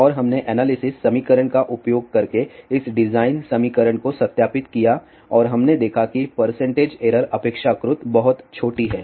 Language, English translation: Hindi, 4 and we verified this designed equation using the analysis equation and we saw that the percentage error is relatively very small